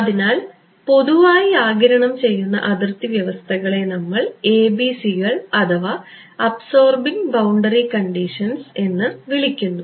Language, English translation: Malayalam, So, absorbing boundary conditions in general, so they come in so, we call them ABCs Absorbing Boundary Conditions ok